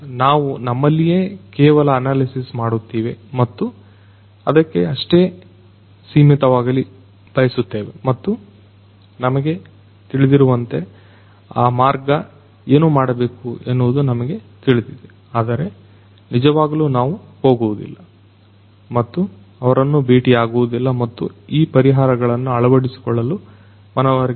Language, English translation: Kannada, We will only do the analysis ourselves and we want to restrict to that only and I know so, that way you know so, we know that what has to be done, but we really do not go and reach out to them and try to convince them to adopt these solutions